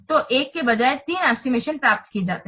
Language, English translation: Hindi, So, three estimates are obtained rather than one